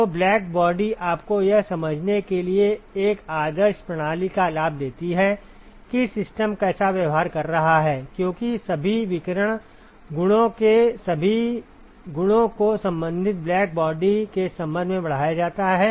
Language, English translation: Hindi, So, black body just gives you an advantage to an idealized system to understand how the system is behaving, because all the properties of all the radiation properties are scaled with respect to that of the corresponding black body